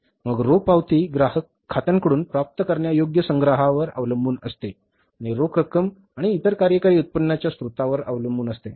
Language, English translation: Marathi, Then cash receipts depend on collections from the customers' accounts, receivables and cash sales and on the other operating income sources